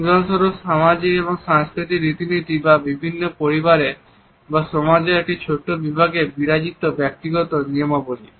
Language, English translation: Bengali, There may be for example socio cultural conventions or individual rules running within families or a smaller segments of society